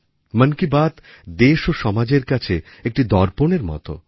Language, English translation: Bengali, 'Mann Ki Baat'is like a mirror to the country & our society